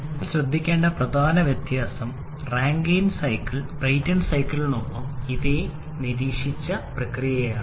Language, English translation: Malayalam, And the major difference that you must have observed by now of the Rankine cycle with the Brayton cycle is in this particular process